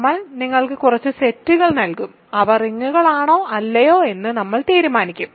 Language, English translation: Malayalam, So, we I will give you some sets and we will decide if they are rings or not